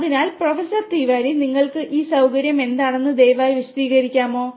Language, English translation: Malayalam, So, Professor Tiwari, what is this facility that you have would you please explain